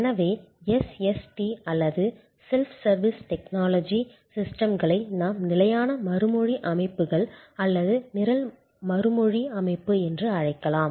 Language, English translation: Tamil, So, a point can be made here that is SST or Self Service Technology systems can be what we call fixed response systems or program response system